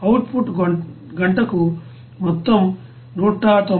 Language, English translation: Telugu, Whereas output it will be total 190